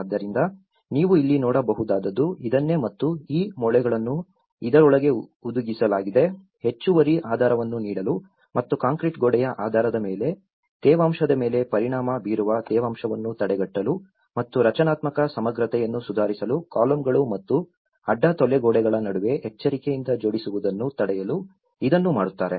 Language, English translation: Kannada, So, this is what you can see here and these nails have been embedded into this, at the base to give extra anchorage and use of concrete wall basis to prevent humidity affecting the wood and the canes in the walls and similarly, careful jointing between the columns and beams to improve structural integrity